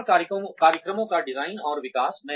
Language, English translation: Hindi, Design and development of training programs